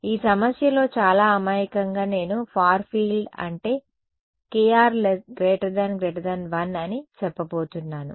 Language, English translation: Telugu, In this problem very naively I am going to say far field is when kr is much much greater than 1 ok